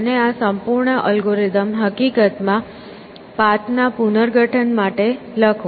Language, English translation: Gujarati, And write this whole algorithm in fact, for reconstruct path